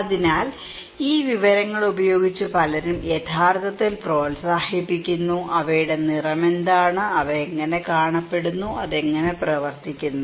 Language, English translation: Malayalam, So, many people actually encouraging so, with these informations; what are their colour, how they look like, how it works